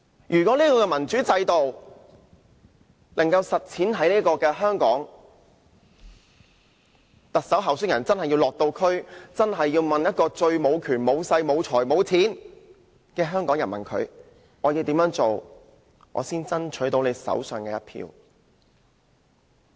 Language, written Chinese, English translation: Cantonese, 如果這個民主制度可在香港實踐，特首候選人便要落區問那個最無權、無勢、無財無錢的香港人，要怎樣才能爭取其手上的一票。, If the democratic system is implemented in Hong Kong candidates of the Chief Executive Election will have to visit the districts to ask that citizen of Hong Kong who has no power no influence and no money how to win his vote